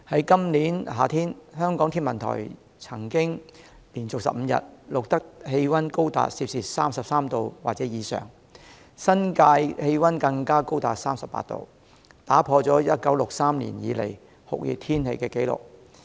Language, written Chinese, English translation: Cantonese, 今年夏天，香港天文台曾連續15天錄得氣溫高達 33°C 或以上，新界氣溫更高達 38°C， 打破了1963年以來的酷熱天氣紀錄。, In summer this year the Hong Kong Observatory recorded 15 consecutive days with temperature reaching 33°C or above and the temperature in the New Territories even went up to 38°C which broke the record of hot weather since 1963